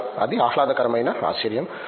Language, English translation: Telugu, So, that is the pleasant surprise